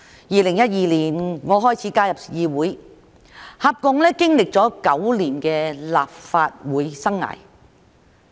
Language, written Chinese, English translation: Cantonese, 2012年我開始加入議會，合共經歷了9年的立法會生涯。, I joined the Legislative Council in 2012 and have worked here for a total of nine years